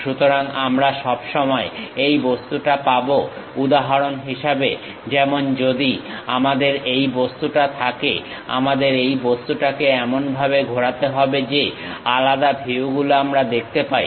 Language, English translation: Bengali, So, we always have this object, for example, like if we have this object; we have to rotate this object in such a way that, different views we are going to see